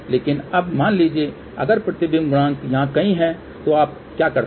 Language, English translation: Hindi, But now suppose if the reflection coefficient is somewhere here , so what you do